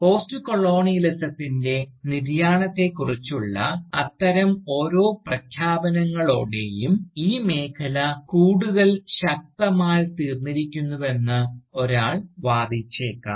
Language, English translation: Malayalam, One might even argue that, with each such announcement of the demise of Postcolonialism, the field has only become stronger